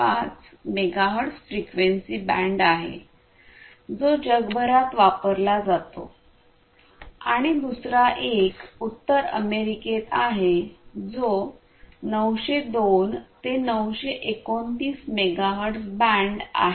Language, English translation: Marathi, 5 megahertz frequency band which is used worldwide and the other one is in North America which is the 902 to 929 megahertz band